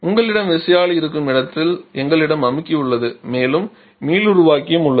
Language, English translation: Tamil, Where you have the turbine we have the compressor and we have the regenerator also